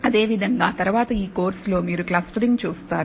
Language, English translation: Telugu, Similarly, later on in this course you will come across clustering